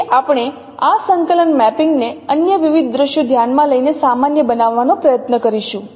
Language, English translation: Gujarati, So we will try to generalize this coordinate mapping, considering different other scenarios